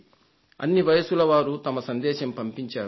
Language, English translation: Telugu, People of all age groups have sent messages